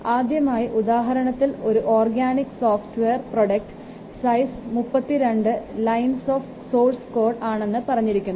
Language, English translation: Malayalam, So, first example said that the size of an organic software product has been estimated to be 32 lines of source code